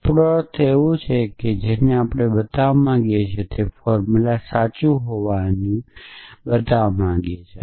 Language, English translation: Gujarati, We mean something that we want to show to be true a formula that we want to show to be through